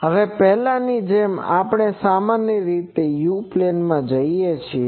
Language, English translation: Gujarati, Now, as before, we generally go to the u plane